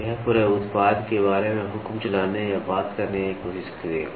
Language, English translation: Hindi, This will try to dictate or talk about the entire product